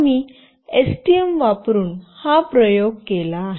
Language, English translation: Marathi, We have done the experiment using STM